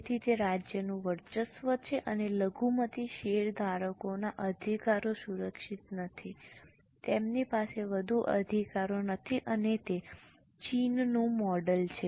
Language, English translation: Gujarati, So, it's a dominance of a state and the minority shareholders' rights are not protected, they don't have much rights as such